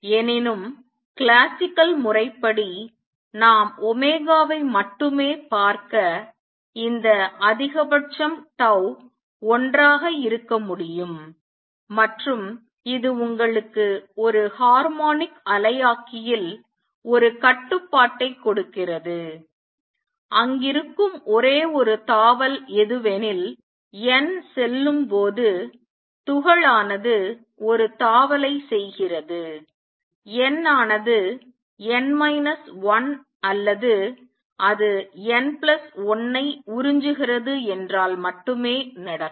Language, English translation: Tamil, However, classically we see only omega this implies tau at max can be one and this gives you a restriction that in a harmonic oscillator the only jumps that takes place are where n goes the particle makes the jump n goes to n minus 1 or if it absorbs n plus 1